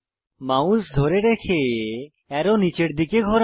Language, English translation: Bengali, Hold the mouse and rotate the arrow to point downwards